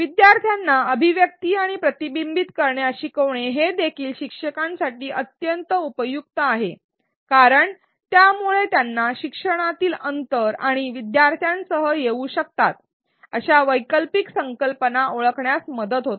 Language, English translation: Marathi, Getting learners to do articulation and reflection is also extremely useful for instructors because it helps them identify learning gaps and the alternate conceptions that students may come with